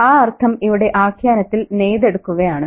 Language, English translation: Malayalam, That sense is being kind of woven in the narrative isn't it